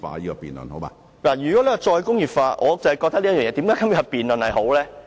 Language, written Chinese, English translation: Cantonese, 如果我們要談"再工業化"......我覺得有今天這項辯論是好的。, If we talk about re - industrialization I think it is good to have this debate today